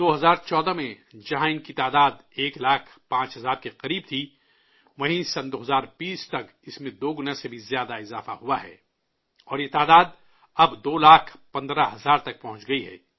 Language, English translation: Urdu, In 2014, while their number was close to 1 lakh 5 thousand, by 2020 it has increased by more than double and this number has now reached up to 2 lakh 15 thousand